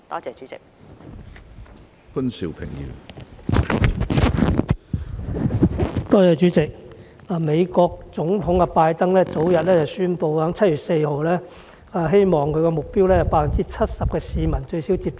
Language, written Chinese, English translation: Cantonese, 主席，美國總統拜登早前宣布一項目標，希望7月4日前有最少 70% 國民接種一劑疫苗。, President the President of the United States Mr Joe BIDEN earlier announced a target of having at least 70 % of Americans vaccinated with one dose by 4 July